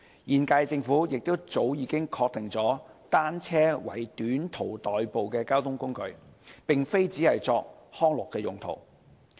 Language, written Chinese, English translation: Cantonese, 現屆政府亦早已確定單車為短途代步的交通工具，並非只是作康樂用途。, Also the incumbent Government has long since recognized bicycles as a mode of transport for short - distance commute not solely for recreational purposes